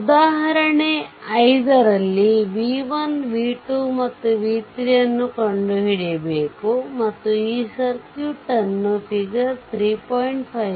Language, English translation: Kannada, So, as example 5 you have to find out v 1, v 2, and v 3, and i of this circuit shown in figure 35